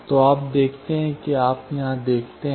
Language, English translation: Hindi, So, you see that, you see here